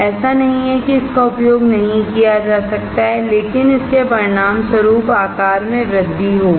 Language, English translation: Hindi, It is not that it cannot be used, but it will result in increased size